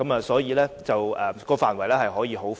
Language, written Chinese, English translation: Cantonese, 所以，當中的範圍可以是很寬闊的。, Therefore the scope of smart city development can be very broad